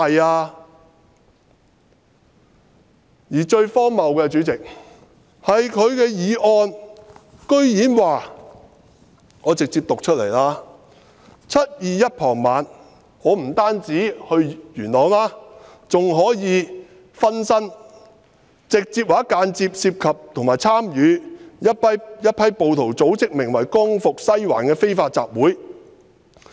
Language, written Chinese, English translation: Cantonese, 他的議案最荒謬的是，我直接讀出來 ："2019 年7月21日傍晚，林卓廷議員直接或間接地涉及或參與由一批暴徒組織的名為'光復西環'的非法集會。, The most absurd part of his motion is let me directly quote from it In the evening of 21 July 2019 Mr LAM Cheuk - ting directly or indirectly involved or participated in an unlawful assembly known as Liberate Sai Wan organized by mob